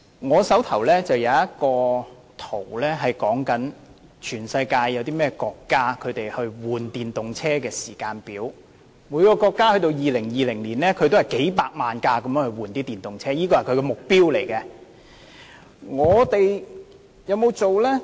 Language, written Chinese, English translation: Cantonese, 我手上這張圖顯示，全球多個國家更換電動車的時間表，至2020年時，各國每年更換電動車的數目均以數百萬輛為目標。, This diagram in my hand shows the timetables of a number of countries around the world for switching to EVs . Various countries have set the targets for switching to EVs at several millions of vehicles per year by 2020